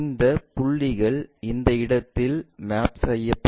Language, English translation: Tamil, If you are saying these points will be mapped all the way there